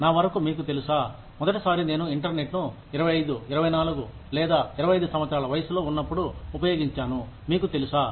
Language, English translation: Telugu, Till my, you know, the first time, I saw the, used the internet, was you know, when I was, past the age of 25, 24 or 25